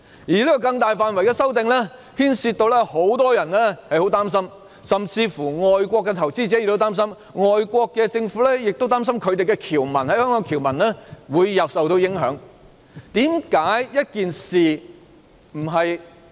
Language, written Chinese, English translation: Cantonese, 這項大範圍的修訂，令很多人擔心，甚至外國投資者也擔心，外國政府亦擔心他們在香港的僑民會受影響。, These extensive amendments have aroused concerns among many people and even caused worries among foreign investors . Foreign governments are also concerned that their citizens in Hong Kong would be affected